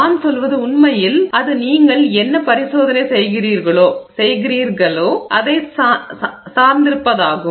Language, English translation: Tamil, I mean it really depends on what experiment you are doing